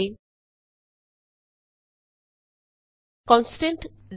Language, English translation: Punjabi, printf() and Constant eg